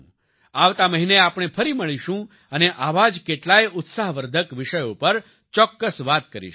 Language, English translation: Gujarati, We will meet again next month and will definitely talk about many more such encouraging topics